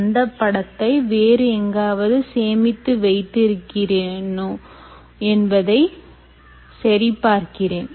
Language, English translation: Tamil, let me just check if i already have them somewhere stored